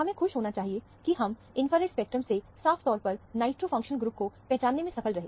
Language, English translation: Hindi, We should be happy that, we have been able to identify the nitro functional group, from the infrared spectrum very clearly